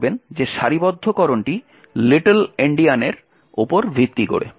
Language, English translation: Bengali, Note that the alignment is based on Little Endian